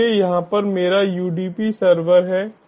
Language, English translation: Hindi, so over here i have my udp server